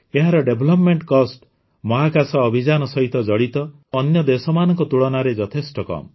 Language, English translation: Odia, Its development cost is much less than the cost incurred by other countries involved in space missions